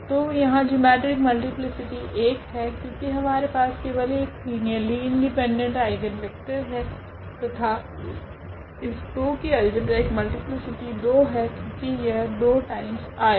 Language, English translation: Hindi, So, here the geometric multiplicity is 1, because we have 1 linearly independent eigenvector and the algebraic multiplicity of 2 is 2 because this 2 was repeated 2 times